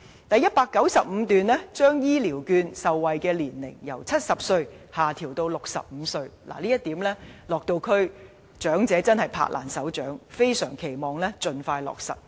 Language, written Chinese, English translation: Cantonese, 第195段亦提出把長者醫療券受惠年齡由70歲下調至65歲，長者對此拍掌歡迎，非常期望盡快落實。, The elderly people highly welcome the proposal in paragraph 195 to lower the eligibility age for the Elderly Health Care Vouchers from 70 to 65 and they are eager to see this implemented as soon as possible